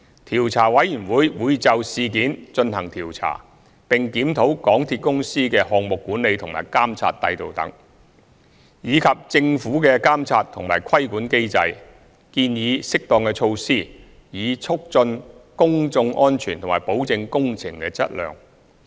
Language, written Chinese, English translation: Cantonese, 調查委員會會就事件進行調查，並檢討港鐵公司的項目管理和監督制度等，以及政府的監察和規管機制，建議適當措施，以促進公眾安全和保證工程的質量。, The Commission will inquire into the incident and review among others MTRCLs project management and supervision system as well as the monitoring and control mechanism of the Government while making recommendations on suitable measures with a view to promoting public safety and assurance on quality of works